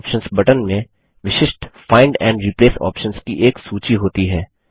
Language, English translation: Hindi, Click on it The More Options button contains a list of specific Find and Replace options